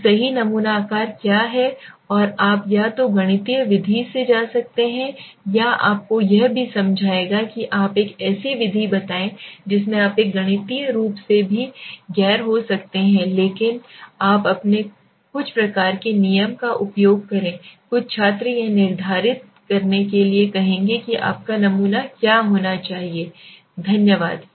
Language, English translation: Hindi, So what is the right sample size and how either you can go through a mathematical method or I will also explain you tell you a method in which you can a non mathematically also but you can use your some kind of a rule some students will say to determine what should be your sample size okay thanks for the moment